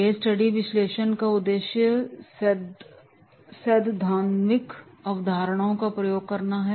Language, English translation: Hindi, The objectives of the case study and analysis is application of theoretical concepts